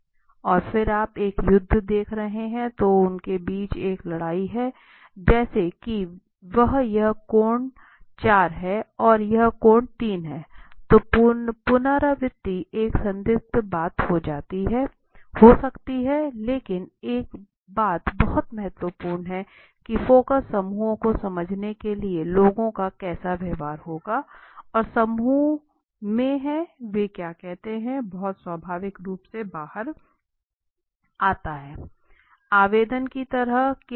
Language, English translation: Hindi, So now if you see here and then you are seeing there is a war there is a fight between them that in the like that in the saying that is four and that is this angle is four and that this angle is three so that the repetition is might be a questionable thing right it can happen but they do understand one thing is very important that the focus groups are very powerful techniques to understand how people would behave and in group and what they would tell comes out very naturally and there are some times very great ideas right